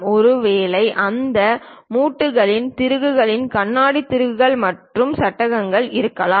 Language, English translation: Tamil, Perhaps there will be joints those joints might be having screws glass screws and frame